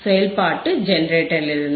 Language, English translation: Tamil, From the function generator